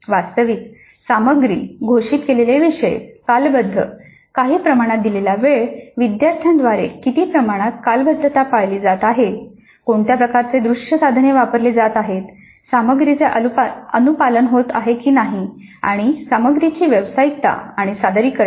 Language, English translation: Marathi, And then the actual content itself, the topics announced the timeframe given certain amount of time to what extent the timeframe is being maintained by the student, then what kind of visual aids are being used, then whether the content compliance is happening and professionalism of content and presentation